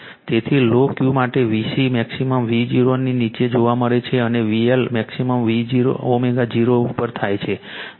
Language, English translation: Gujarati, So, with low Q, V C maximum occurs below omega 0, and V L maximum occurs above omega 0